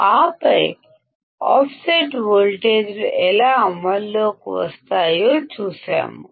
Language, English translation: Telugu, And then we have seen how offset voltages comes into play